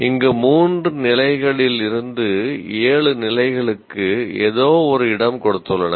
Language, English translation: Tamil, And here they have given anywhere from three, three levels to seven levels